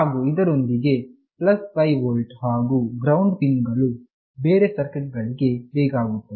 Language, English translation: Kannada, And of course, +5 volt and ground pins for other circuits is required